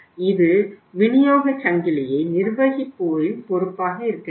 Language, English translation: Tamil, It should be the responsibility of the people managing the supply chain